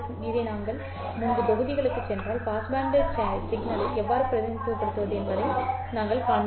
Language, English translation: Tamil, This can be written as if you go back to the modules earlier, we had shown how to represent the passband signal